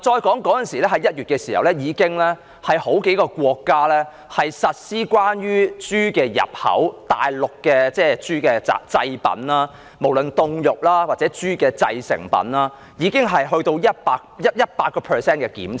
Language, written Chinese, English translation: Cantonese, 再說，在1月時已有數個國家對於大陸豬的製品，無論是凍肉或其他豬製成品的入口，實施 100% 檢查。, Next starting from January several countries have implemented a 100 % inspection of pig products exported from Mainland China be they frozen pork or other pig products